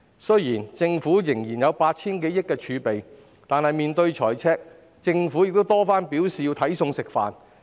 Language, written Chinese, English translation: Cantonese, 雖然政府仍有 8,000 多億元儲備，但面對財赤，政府已多番表示要"睇餸食飯"。, Although the fiscal reserves of the Government still stand at some 800 billion in the face of a fiscal deficit the Government has repeatedly indicated that it needs to spend within its means